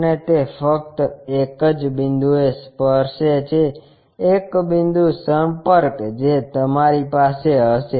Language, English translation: Gujarati, And it touches only at one point, a point contact you will have